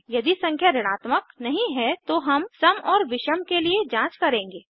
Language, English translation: Hindi, if the number is not a negative, we check for even and odd